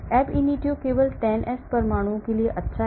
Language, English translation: Hindi, Ab initio is good for only 10s of atoms